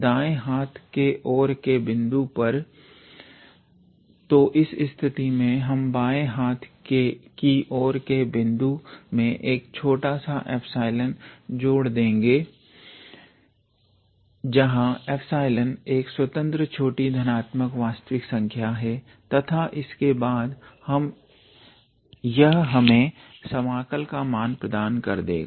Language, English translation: Hindi, At the left endpoint then in that case we add a little bit epsilon where epsilon is a arbitrary small positive real number to the left endpoint and then this will give us the value of the integral